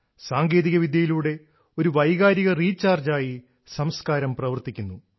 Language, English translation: Malayalam, Even with the help of technology, culture works like an emotional recharge